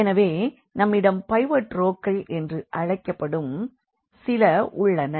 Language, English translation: Tamil, So, we have these so called the pivot rows